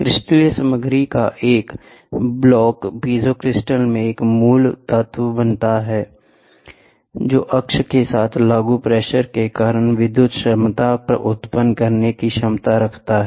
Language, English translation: Hindi, A block of crystalline material forms a basic element in the piezo crystal; which has the capacity to generate an electric potential due to the applied pressure along the preferred axis